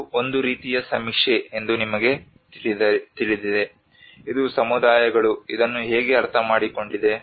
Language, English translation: Kannada, You know this is a kind of survey which have done how the communities have understood this